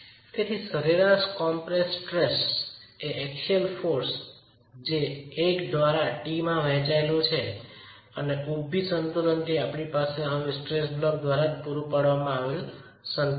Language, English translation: Gujarati, So, the average compressive stress is the axial force divided by L into T and from vertical equilibrium we now have equilibrium provided by the stress block itself